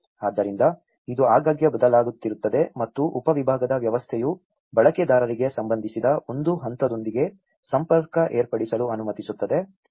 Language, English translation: Kannada, So, this keeps changing very frequently and the system of subdivision allows users to interface with a level that is relevant to them